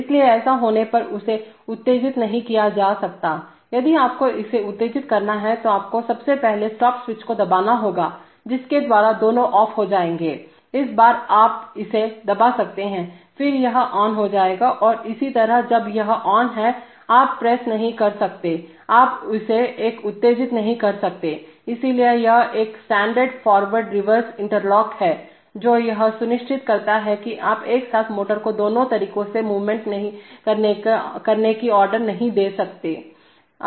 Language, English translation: Hindi, So therefore this cannot be excited while this is on, if you have to excite it, you have to first press the stop switch by which both will become off, this time you can press this one, then this will become on and similarly when this is on, you cannot press, you cannot make this one exciting, so this is a standard forward reverse interlock, which ensures that simultaneously you cannot command the motor to move both ways